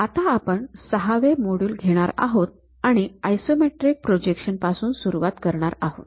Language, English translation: Marathi, We are covering a new module 6, begin with Isometric Projections